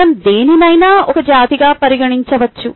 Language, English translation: Telugu, we can consider anything as a species